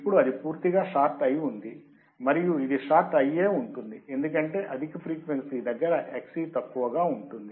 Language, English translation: Telugu, Now it is completely shorted and it is shorted because at high frequency Xc would be less